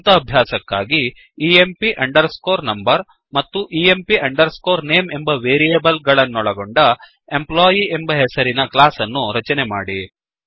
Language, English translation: Kannada, For self assessment, create a class named Employee with variables emp underscore number and emp underscore name